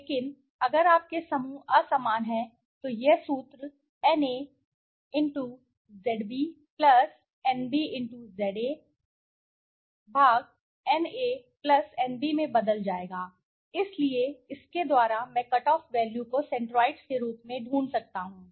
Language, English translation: Hindi, But in case your groups are unequal then this formula will change to Na x Zb + Nb x Za/ Na + Nb, so by this i can find the centroids right the cutoff value